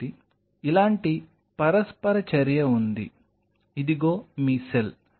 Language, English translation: Telugu, So, there is kind of an interaction like this, here is your cell